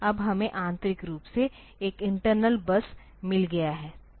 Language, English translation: Hindi, Now, we have got internally there is a internal bus